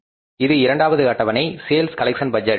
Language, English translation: Tamil, So, next schedule this is a schedule number two, sales collection budget